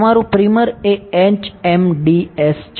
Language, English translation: Gujarati, Your primer is HMDS